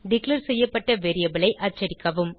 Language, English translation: Tamil, Print the variable declared